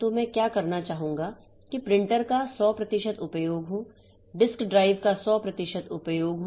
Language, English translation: Hindi, So, what I would like to have is 100% utilization of the printers, 100% utilization of the disk drives